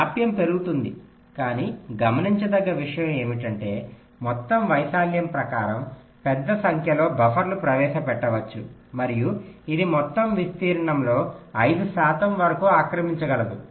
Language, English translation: Telugu, but the point to note is that in terms of the total area, there can be a large number of buffers are introduced and it can occupy as much as five percent of the total area